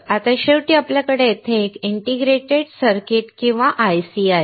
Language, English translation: Marathi, Now finally, we have here an integrated circuit or IC